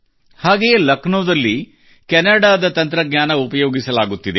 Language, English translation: Kannada, Meanwhile, in Lucknow technology from Canada is being used